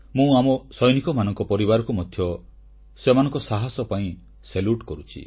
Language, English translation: Odia, I also salute the families of our soldiers